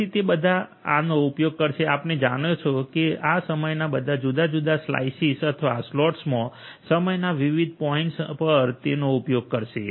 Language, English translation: Gujarati, So, all of them will be using this you know the different time slices or time slots at different points of time and using them